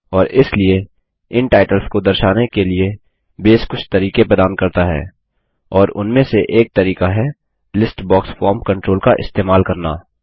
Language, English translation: Hindi, And so, to display these titles, Base provides some ways, and one of the ways is by using a List box form control